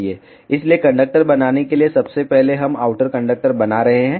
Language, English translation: Hindi, So, to make the conductor firstly we will be making outer conductor